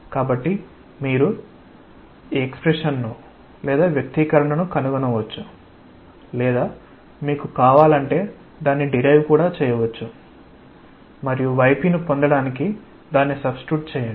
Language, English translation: Telugu, So, you can find out the expression or you may even derive it if you want, and just substitute it to get what is y p; and from that you can get F